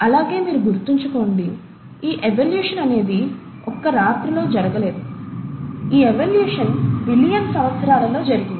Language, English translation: Telugu, And mind you, this evolution has not happened overnight, this evolution has happened over billions of years